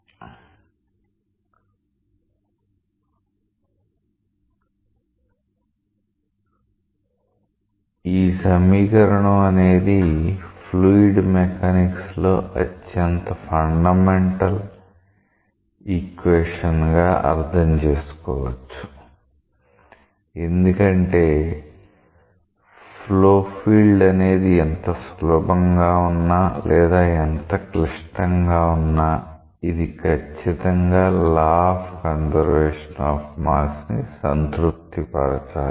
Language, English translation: Telugu, This equation in a general understanding is supposed to be the most fundamental differential equation in fluid mechanics because no matter how complex or how simple the flow field is, it should satisfy the law of conservation of mass